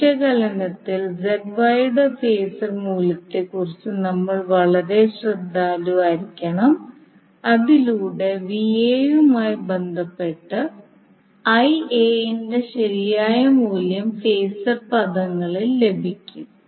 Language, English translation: Malayalam, So in the analysis we have to be very careful about the phasor value of ZY so that we get the proper value of IA in phasor terms with respect to VA